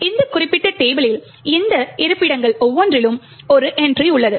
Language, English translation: Tamil, Each of these locations have an entry in this particular table